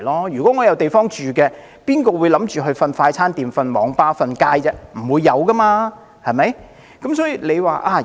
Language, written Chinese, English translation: Cantonese, 如果有地方居住，又有誰會想睡在快餐店或網吧，或街頭露宿呢？, If people have a place to live will they sleep in fast food shops cyber cafes or on the street?